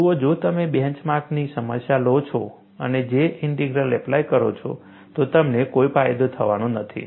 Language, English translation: Gujarati, See, if you take a bench mark problem and apply J Integral, you are not going to have any advantage